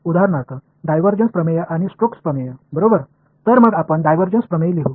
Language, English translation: Marathi, For example, the divergence theorem and Stokes theorem right; so, let us just write down divergence theorem